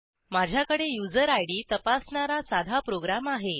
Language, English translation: Marathi, I have a simple program here, that checks the user ID